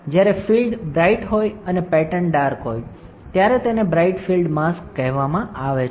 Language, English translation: Gujarati, When the field is bright and the pattern is dark, is called bright field mask